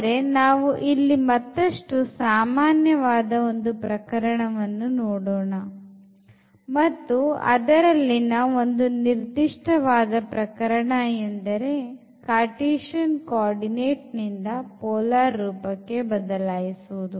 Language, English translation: Kannada, So, now, we will go for a more general case and this will be a particular situation when we go from Cartesian to polar coordinate